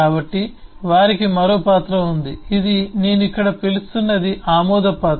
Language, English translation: Telugu, so they have yet another role, which is what I am calling here is an approval role